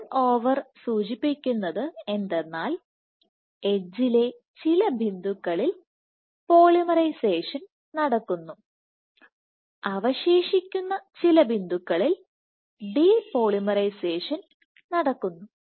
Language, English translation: Malayalam, So, the turnover says that along the edge there are some points where polymerization is happening some points in the remaining points where depolymerization is happening